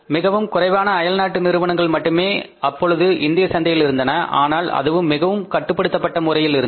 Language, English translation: Tamil, Very few foreign companies were operating in the market but in a very restricted manner